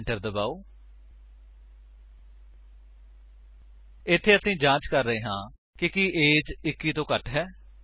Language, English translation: Punjabi, Here, we are checking if age is less than 21